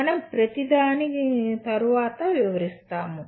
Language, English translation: Telugu, We will be elaborating on each one later